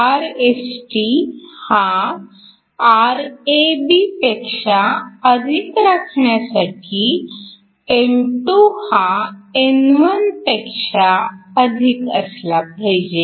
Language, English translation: Marathi, In order for Rst to be greater than Rab we essentially want N2 to be greater than N1